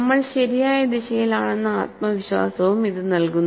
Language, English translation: Malayalam, And it also gives you confidence that we are in the right direction